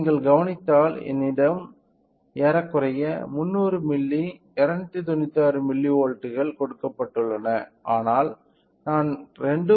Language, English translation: Tamil, If you observe I have a given a input of approximately 300 milli, 296 milli volt, but I am getting an output of 2